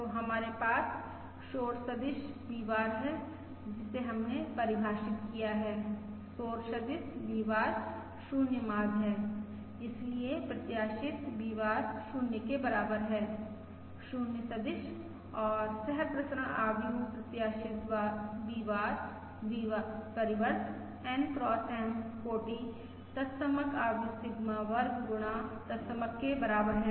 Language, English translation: Hindi, the noise vector V bar is 0 mean, so the expected V bar is equal to 0, the 0 vector and the covariance matrix expected V bar, V bar transpose is equal to Sigma square times the identity, the N cross M dimensions identity matrix, So Sigma square times the N cross M dimensional identity matrix